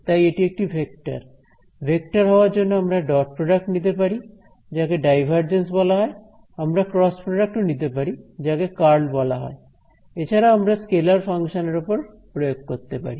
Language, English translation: Bengali, So, it is a vector given a vector I can take its dot products it is called the divergence, I can take the cross product it is called the curl or I can make it act on a scalar function